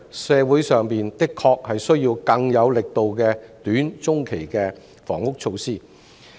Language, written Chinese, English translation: Cantonese, 社會上的確需要更有力度的短、中期房屋措施。, The community really needs more dynamic short - and medium - term housing measures